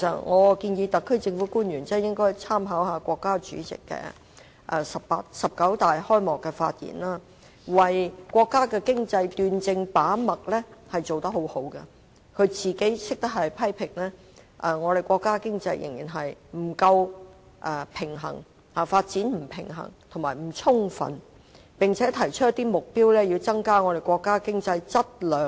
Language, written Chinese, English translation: Cantonese, 我建議特區政府官員應該參考國家主席在"十九大"的開幕發言，他為國家經濟把脈斷症做得很好，懂得自我批評，指出國家經濟的發展仍然不夠平衡、不充分，並且提出一些目標，以增加國家經濟的質量。, I suggest that officials of the SAR Government should take reference from the speech of the State President at the opening of the 19 National Congress of the Communist Party of China . He made a good diagnosis of the national economy . He made a self - criticism by pointing out that the countrys economic development was still unbalanced and inadequate and he set down some objectives to promote the economic development of the country in terms of quality and quantity